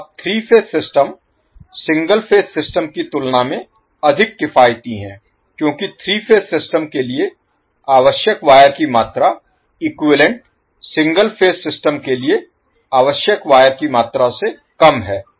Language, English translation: Hindi, Because the amount of wire which is required for 3 phase system is lesser than the amount of wire needed for an equivalent 3 single phase systems